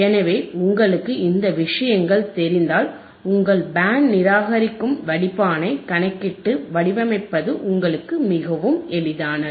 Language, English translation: Tamil, So, this if you know thisese things, iit is very easy for you to calculate how you canand design your band reject filter